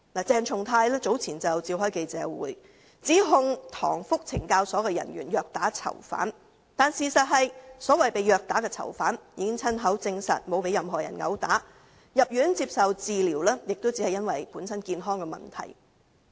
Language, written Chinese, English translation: Cantonese, 鄭松泰議員早前召開記者會，指控塘福懲教所的人員虐打囚犯，但事實是，所謂被虐打的囚犯已親口證實並無被任何人毆打，入院接受治療亦只因本身的健康問題。, Some time ago Dr CHENG Chung - tai convened a press conference accusing officers of the Tong Fuk Correctional Institution of assaulting an inmate but the truth is the so - called assaulted inmate has personally confirmed that he has not been assaulted by anyone . He was admitted to the hospital for treatment only because of his own health problem